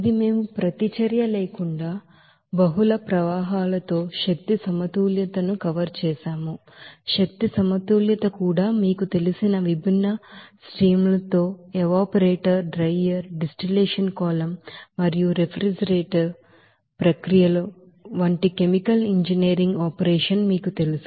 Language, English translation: Telugu, And we have this we have covered that energy balance with multiple streams without reaction, energy balance also you know with different you know streams in the specific you know chemical engineering operation like evaporator, drier, distillation column and also refrigeration processes